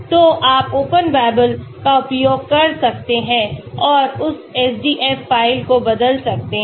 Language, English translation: Hindi, So you can use Open Babel and convert that SDF file